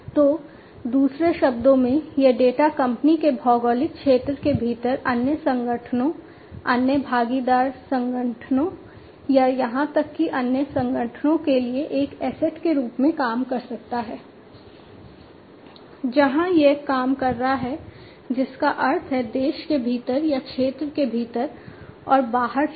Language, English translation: Hindi, So, you know in other words basically, this data can serve as an asset to other organizations, other partner organizations or even the other organizations within the geographic territory of the company, where it is operating that means within the country or, within the region and outside the region